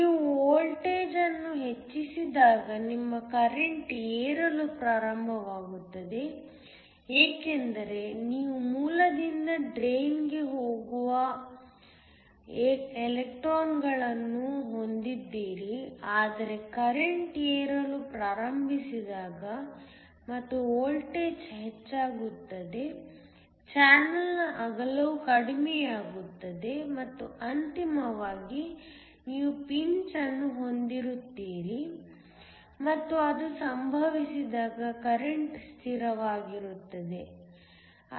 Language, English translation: Kannada, As you increase the voltage initially your current starts to rise because you have electrons going from the source to the drain, but as the current starts to rise and as the voltage increases the width of the channel will also decrease and ultimately, you will have pinch off and when that occurs the current is a constant